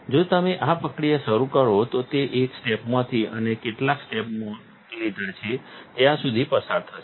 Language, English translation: Gujarati, If you start this process, it will go through step one to and how many steps you have made